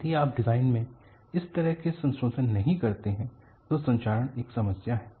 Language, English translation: Hindi, If you do not take such modifications in the design, corrosion is going to be a problem